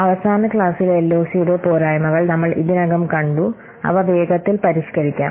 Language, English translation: Malayalam, We have already seen the drawbacks of LOC in the last class